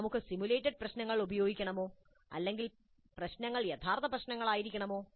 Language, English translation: Malayalam, Can we use simulated problems or the problems must be the real ones